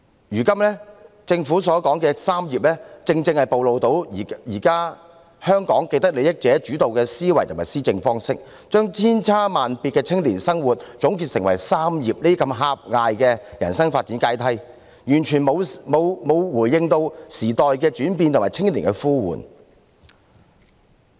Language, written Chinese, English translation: Cantonese, 如今政府所說的"三業"正是暴露出現今香港由既得利益者主導的思維與施政方式，將千差萬別的青年生活方式總結成"三業"這種狹隘的人生發展階梯，完全沒有回應時代的轉變和青年的呼喚。, The concerns about education career pursuit and home ownership mentioned by the Government precisely exposes the thinking and way of administration of the vested interests in Hong Kong presently . The myriad ways of life of young people are reduced to this kind of limited life development ladder called concerns about education career pursuit and home ownership which has totally failed to respond to the changes of the times and the aspirations of young people